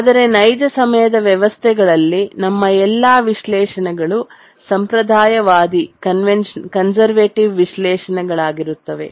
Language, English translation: Kannada, But then in the real time systems, all our analysis are conservative analysis